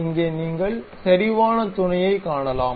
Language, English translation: Tamil, Here you can see concentric mate